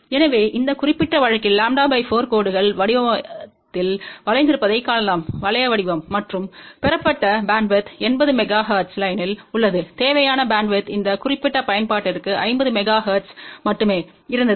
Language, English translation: Tamil, So, in this particular case we can see that lambda by 4 lines are bent in circular ring shape, and the bandwidth obtained is of the order of 80 megahertz, the required bandwidth was only 50 megahertz for this particular application